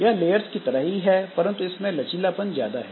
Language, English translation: Hindi, It is similar to layers but with more flexibility